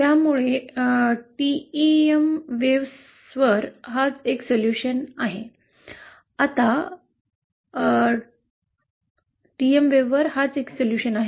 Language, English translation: Marathi, So this is the solution for the TM wave